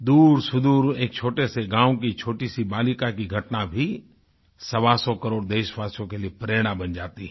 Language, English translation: Hindi, An incident regarding a small girl from a remote village too can inspire the hundred and twenty five crore people